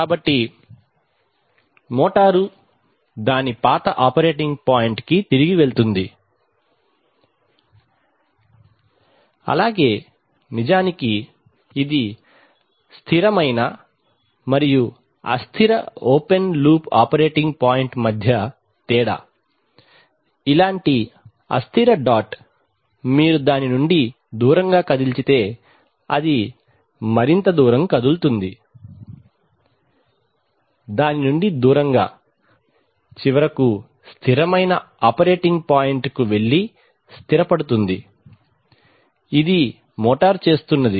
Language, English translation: Telugu, So the motor will tend to go back to its old operating point, so actually this is the difference between a stable and an unstable open loop operating point that, in an unstable point if you move it away from it, it tends to move farther away from it, and finally settle to a stable operating point this is what the motor is doing